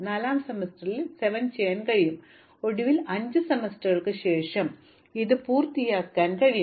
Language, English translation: Malayalam, In the 4th semester, I can do 7 and finally, after 5 semesters I can complete these requirements